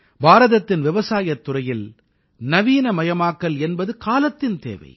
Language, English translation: Tamil, Modernization in the field of Indian agriculture is the need of the hour